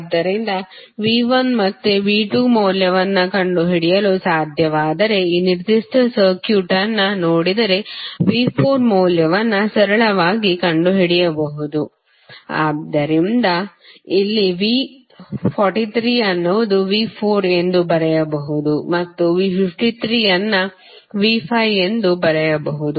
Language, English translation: Kannada, So, that means if you see this particular circuit if you are able to find the value of V 1 and V 2 you can simply find out the value of V 4, so here V 43 can be written as V 4 and V 53 can be written as V 5